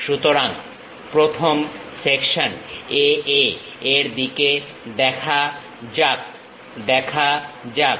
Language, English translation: Bengali, So, let us look at the first section A A